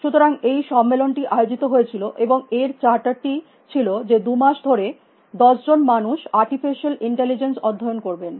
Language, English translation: Bengali, So, the conference was organized and it is charter was that if you two months, ten mans study of artificial intelligence